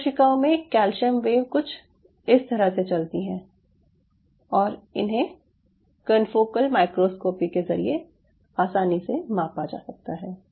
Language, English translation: Hindi, something like this and the these kind of wave could be easily measured using confocal microscopy